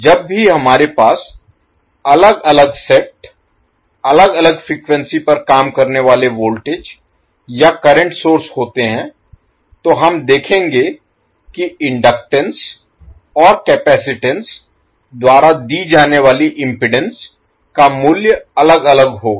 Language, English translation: Hindi, Whenever we have different set, different voltage or current sources operating at different frequencies we will see that the value of inductance and capacitance C not the value of inductance and capacitance, we will say that it is the impedance offered by the inductance and capacitance will be different